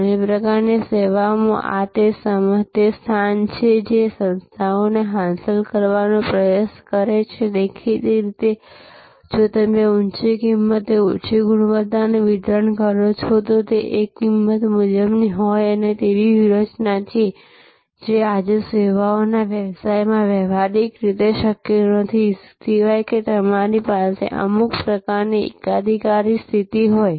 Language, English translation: Gujarati, In many types of services this is the position that organizations try to achieve; obviously, if your delivering low quality at high price; that is a rip off strategy practically not possible in services business today, unless you have some kind of monopolistic position